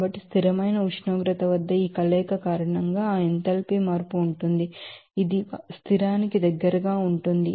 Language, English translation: Telugu, So, there it is given that that enthalpy change because of this fusion at a constant temperature that can be close to constant